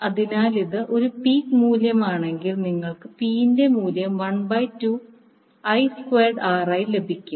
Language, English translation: Malayalam, So if it is an peak value you will get the value P as 1 by 2 I square R